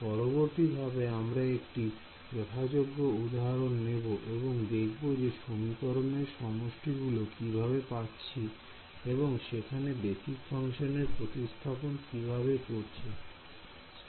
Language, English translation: Bengali, So, in subsequent modules we will go and take a concrete case and see how do I get the system of equations once I substitute the basis function